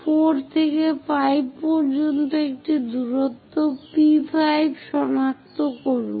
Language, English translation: Bengali, From 4 to 5, locate a distance P5